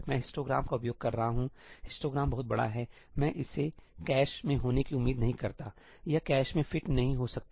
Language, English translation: Hindi, I am accessing the histogram; the histogram is very large, I do not expect it to be in the cache ; it cannot fit in the cache